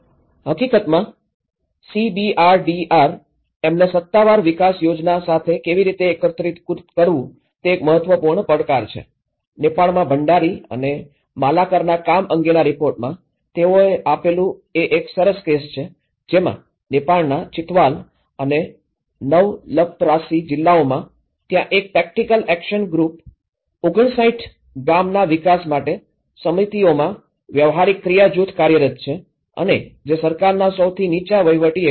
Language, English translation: Gujarati, In fact, the one of the important challenges how to integrate the CBRDRM with official development planning; this is a good case which they have given about Bhandari and Malakar work on Nepal, wherein the districts of Chitwal and Nawalparasi in Nepal, there is a practical action group was working in 59 village development committees and which are the lowest administrative units of government